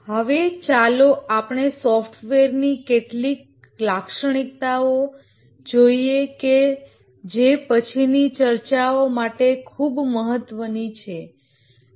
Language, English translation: Gujarati, Now let's look at some characteristics of software that are very important to our subsequent discussions